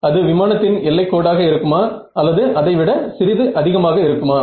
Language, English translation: Tamil, Is it the boundary of the aircraft or little bit more